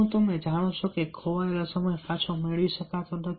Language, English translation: Gujarati, do you know that time lost cannot be regained